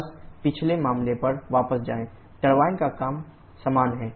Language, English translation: Hindi, Just go back to the previous case turbine work is the same